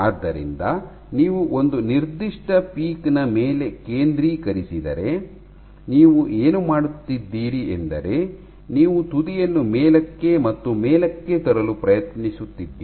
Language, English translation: Kannada, So, if you focus on one particular peak, what you are doing is you are trying to bring the tip up, up, up